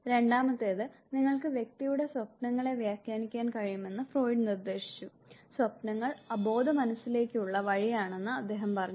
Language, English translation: Malayalam, The second, Freud suggested that you can interpret the dreams of the individual and he I quote him he said that dreams are wild road to unconscious